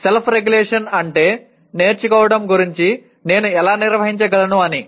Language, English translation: Telugu, Whereas self regulation means how do I manage myself to go about learning